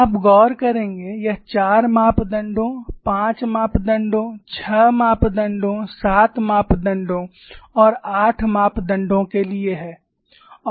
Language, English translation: Hindi, You would notice, it is the four parameters, five parameters, six parameters, seven parameters, and eight parameters